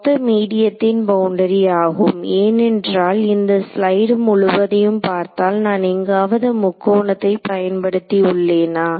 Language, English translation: Tamil, Overall boundary of this medium because if you look at this entire slide have I made any use of the triangle anywhere